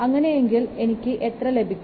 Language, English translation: Malayalam, So I will get how much